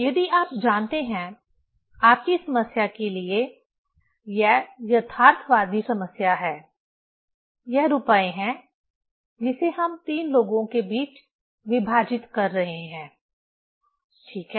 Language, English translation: Hindi, If you know, for your problem, this is the realistic problem, it is the money we are dividing among three people, ok